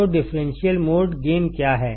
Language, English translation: Hindi, So, what is differential mode gain